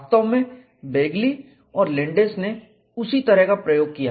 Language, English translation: Hindi, In fact, Begley and Landes did that kind of experiment